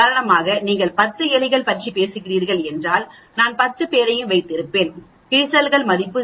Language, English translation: Tamil, For example if you are talking about 10 rats, I will have all the 10 wear value know 0